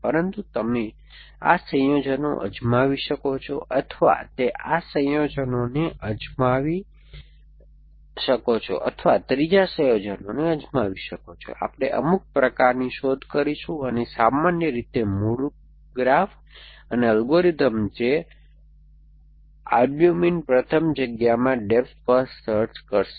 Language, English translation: Gujarati, But, it could try this it could try this combinations or it could try this combinations or it could try com third combination we will do some kind of the search and typically the original graph and algorithm which in the albumin first backward space was depth first search